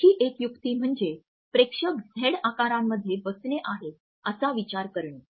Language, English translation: Marathi, Another trick is to think of the audience as sitting in a Z formation